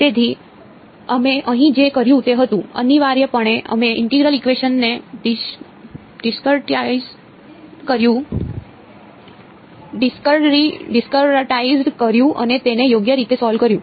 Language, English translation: Gujarati, So, what we did over here was, essentially we discretized the integral equation and solved it right